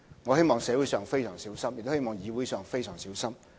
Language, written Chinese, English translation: Cantonese, 我希望社會非常小心，亦希望議會非常小心。, I hope the community and also the legislature can exercise great caution